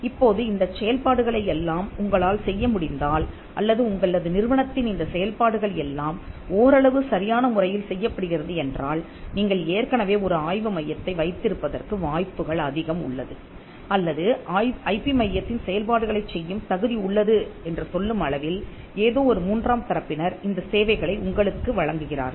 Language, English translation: Tamil, Now, if you can do all these functions or if all these functions are being done reasonably well in your institution then most likely you already have an IP centre or you have someone or some third party who is rendering these services which can qualify for the functions of an IP centre